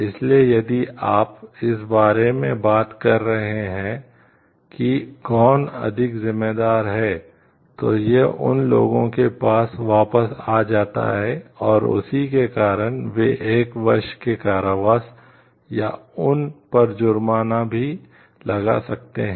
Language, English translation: Hindi, So, if you are talking of who is more responsible maybe they again it comes back to these people and, that is why this may be imprisonment for one year in jail, or the your the fine which is been imposed on it